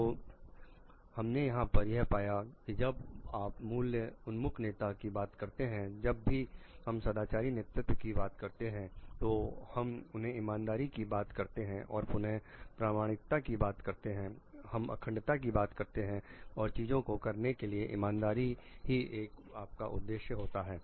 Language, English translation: Hindi, So, what we find over here like when you are talking of the value oriented leader whenever we are talking of a moral leadership we are talking of again fairness we are talking of authenticity we are talking of integrity, honesty in your purpose in a ways of doing things